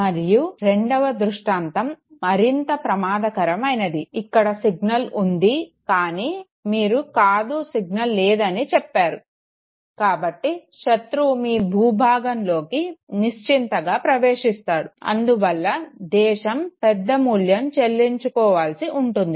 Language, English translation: Telugu, And the second case is again far more dangerous where the signal is present but you say no it is not present okay, the enemy comfortably enters the your territory okay, there is a big price that the country pays for that